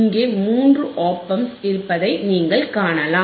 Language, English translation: Tamil, And you can see that you know there are three OP Amps